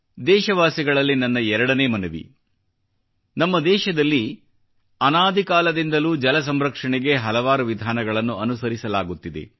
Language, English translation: Kannada, My second request to the countrymen is to share many traditional methods that have been in use over the centuries in our country for the conservation of water